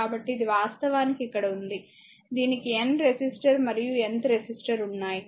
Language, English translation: Telugu, So, this is actually ah here it is you have a N resistor and Nth resistor